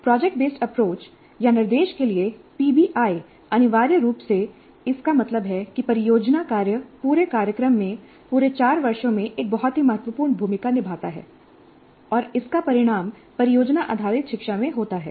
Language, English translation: Hindi, And the project based approach, or PBI, to instruction, essentially means that project work plays a very significant role throughout the program, throughout all the four years, and this results in project based learning